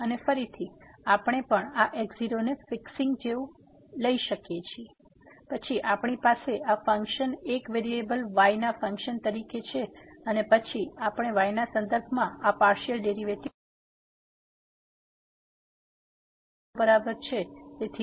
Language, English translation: Gujarati, And again, we can also take like fixing this naught, then we have this function as a function of one variable and then we can take this usual derivative with respect to at is equal to later on